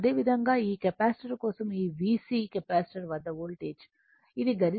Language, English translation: Telugu, Similarly, for this capacitor it is a voltage across this VC, it is the peak value 127